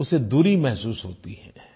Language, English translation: Hindi, They feel distanced